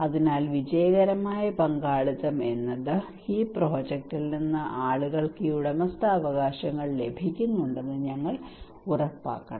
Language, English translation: Malayalam, So we should make sure that a successful participation means that people get these ownerships from the project